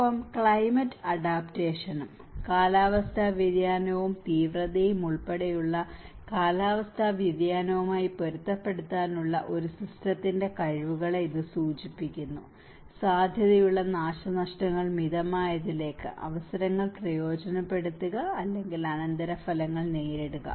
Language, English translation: Malayalam, And climate adaptation; it refers to the abilities of a system to adjust to a climate change including climate variability and extremes to moderate potential damage, to take advantage of opportunities, or to cope up with the consequences